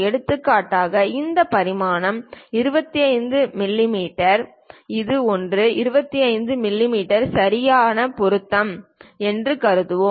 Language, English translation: Tamil, For example, let us consider this dimension is 25 mm, this one 25 mm is correct fit